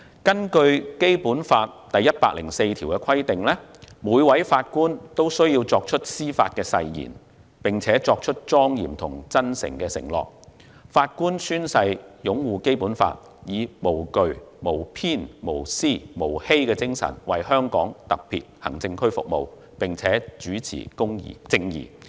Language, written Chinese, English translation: Cantonese, 根據《基本法》第一百零四條，每位法官均須作出司法誓言，並作出莊嚴和真誠的承諾；法官宣誓擁護《基本法》，以"無懼、無偏、無私、無欺"之精神為香港特別行政區服務，並主持正義。, According to Article 104 of the Basic Law every judge must take the Judicial Oath which is a solemn and sincere undertaking . Every judge swears to uphold the Basic Law and to serve the Hong Kong Special Administrative Region and administer justice without fear or favour self‑interest or deceit